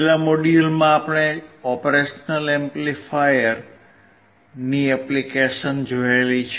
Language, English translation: Gujarati, In the last module we have seen the applications of operation amplifier